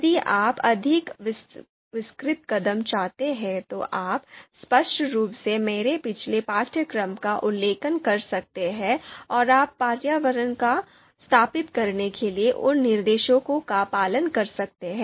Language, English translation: Hindi, So if you want more detailed step, you can obviously refer to my previous course and follow those instructions to setup your environment